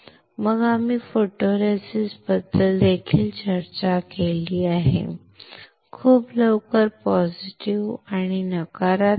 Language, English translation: Marathi, Then we have also discussed about photoresist, very quickly positive and negative